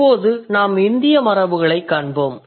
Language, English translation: Tamil, Now let's look at how the Indic tradition works